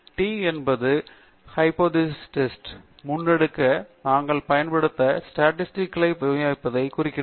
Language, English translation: Tamil, The t refers to the distribution of the statistic that we shall use to carry out the hypothesis test